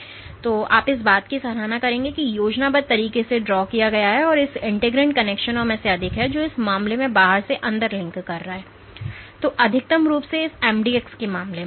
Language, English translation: Hindi, So, you would appreciate that the way the schematic has been drawn; there are more of these integrin connections which link the outside to the inside in this case and maximally in this mdx case